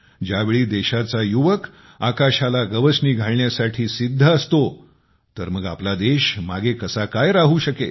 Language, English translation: Marathi, When the youth of the country is ready to touch the sky, how can our country be left behind